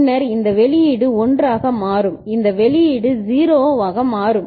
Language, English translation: Tamil, And then this output will become 1 and this output will become 0 right